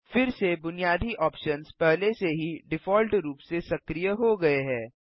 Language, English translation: Hindi, Again the basic options already activated by default